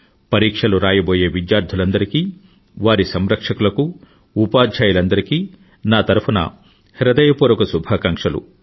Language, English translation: Telugu, My best wishes to all the students who're going to appear for their examinations, their parents and all the teachers as well